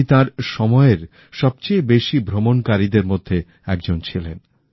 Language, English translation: Bengali, He was the widest travelled of those times